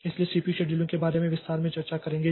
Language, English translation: Hindi, So, we'll be discussing about this CPU scheduling in detail